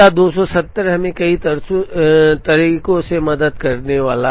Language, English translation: Hindi, Now this 270 is going to help us in many ways